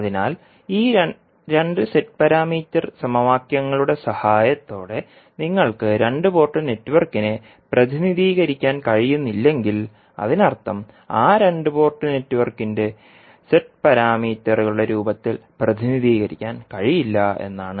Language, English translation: Malayalam, So, if you cannot represent the two port network with the help of these two Z parameter equations it means that those two port networks can be represented in the form of, cannot be represented in the form of Z parameters